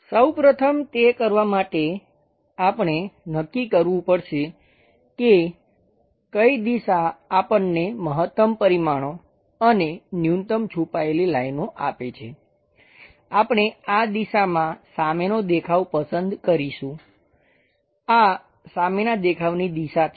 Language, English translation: Gujarati, First of all to do that, we have to decide which direction gives us maximum dimensions and minimal hidden lines; that we will pick it as front view in this direction, this is the front view direction